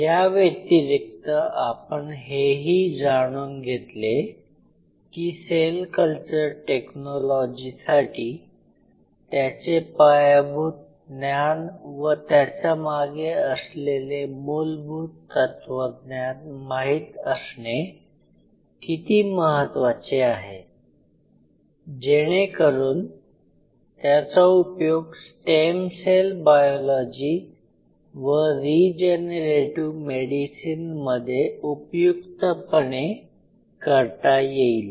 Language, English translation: Marathi, Apart from it we highlighted the fact that understanding the fundamentals of cell culture technology and the basic philosophies will be one of the very basic prerequisites for stem cell biology and regenerative medicine